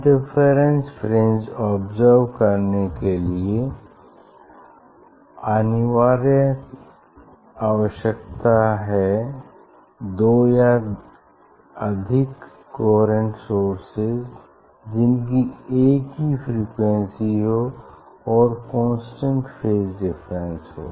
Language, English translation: Hindi, mandatory or compulsory requirement for observing interference fringe is the two or more coherent source which have single frequency and constant phase difference